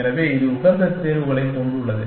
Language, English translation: Tamil, So, this has the optimal solutions